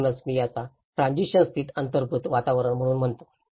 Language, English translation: Marathi, So that is where I call it as built environments in transition